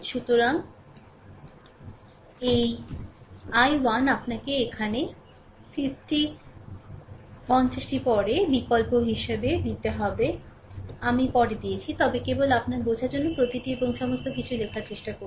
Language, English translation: Bengali, So, this i 1, you have to substitute here 50 later later I have given, but just for your understanding trying to ah write each and everything